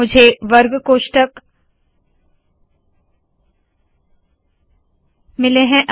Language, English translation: Hindi, I got square brackets